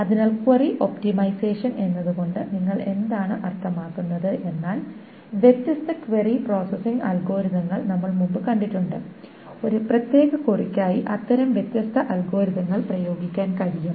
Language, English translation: Malayalam, So what do we mean by query optimization is that we have previously seen the different query processing algorithms and for a particular query different such algorithms can be applied